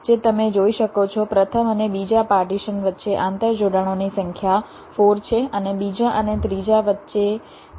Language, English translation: Gujarati, as you can see, between the first and second partitions the number of interconnections are four, and between second and third it is also four